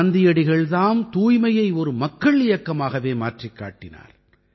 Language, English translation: Tamil, It was Mahatma Gandhi who turned cleanliness into a mass movement